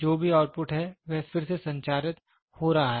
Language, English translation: Hindi, So whatever output is there it is getting retransmitted